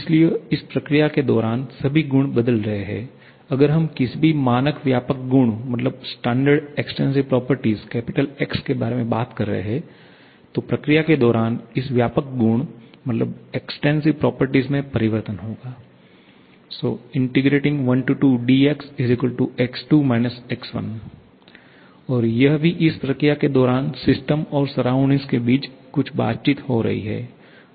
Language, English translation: Hindi, So, during the process, all properties are changing if we talk about any standard extensive property say X, then the change in this extensive property during the process will be equal to X2 X1 and also certain interactions are taking place between system and surrounding during this